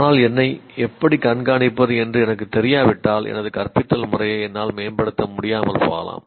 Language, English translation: Tamil, But if I do not know how to observe myself, then I may not be able to improve my method of teaching